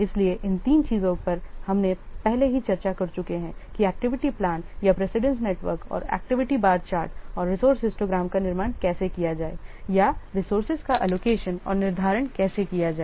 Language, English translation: Hindi, So, these three things already we have discussed in the last class how to what construct activity plan or a precedence network and the activity bar chart and a resource histogram in order to or for allocating and scheduling the resources